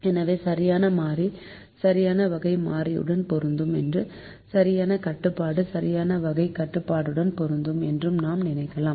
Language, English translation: Tamil, so we can think the correct variable will match with the correct type of variable and the correct constraint will match with the correct type of constraint